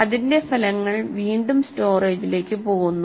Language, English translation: Malayalam, The results of that might be again go back to the storage